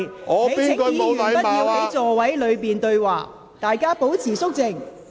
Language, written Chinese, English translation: Cantonese, 請議員不要在座位上對話，大家保持肅靜。, Members should not speak to each other in their seats and please keep quiet